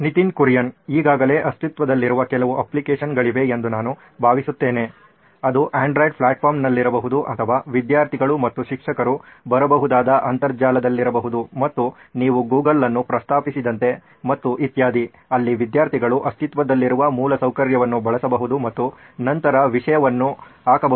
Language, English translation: Kannada, I think there are some already existing applications, be it on the Android platform or on the Internet where students and teachers can come in and like you mentioned Google and so on, where students can use that existing infrastructure and then put it in the content